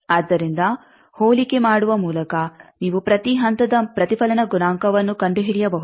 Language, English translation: Kannada, So, by comparison you can find out each stage reflection coefficient